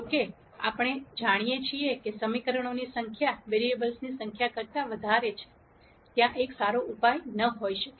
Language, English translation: Gujarati, However, since we know that the number of equations are a lot more than the number of variables,there might not be a perfect solution